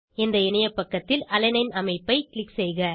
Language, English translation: Tamil, Click on Alanine structure on this webpage